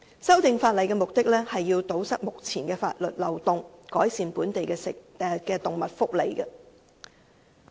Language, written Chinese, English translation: Cantonese, 《修訂規例》的目的是要堵塞目前的法律漏洞，改善本地的動物福利。, The objective of the Amendment Regulation is to plug the loophole in the existing law and improve animal welfare in Hong Kong